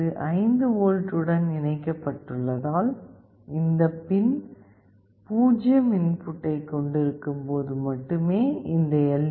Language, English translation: Tamil, As this is connected to 5V, when this pin will have a 0 input, then only this LED will glow